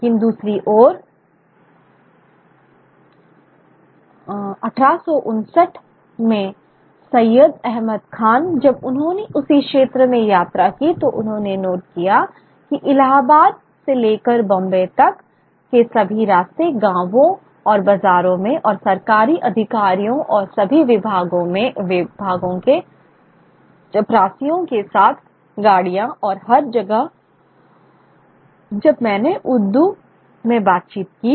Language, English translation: Hindi, But on the other hand, the is the same region, Sayyad Ahmad Khan in 1869 when he traveled, he noted that all the way from Alhabad to Bombay in villages and marketplaces and trains with government officials and pions of all departments and coolies everywhere, I conversed in Urdu and everywhere people understood and replied in Urdu itself